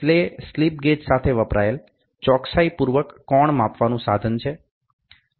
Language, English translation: Gujarati, It is a precision angle measuring instrument used along with the slip gauges